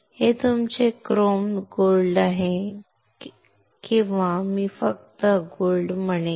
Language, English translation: Marathi, This is your chrome gold or I will just say gold